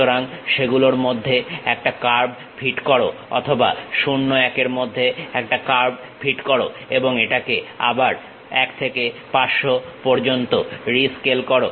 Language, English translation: Bengali, So, fit a curve in between that or fit a surface in between 0, 1 and again rescale it up to 1 to 500